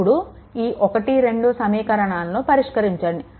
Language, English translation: Telugu, So, equation 1 and 2, you solve